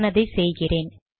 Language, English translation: Tamil, So let me do that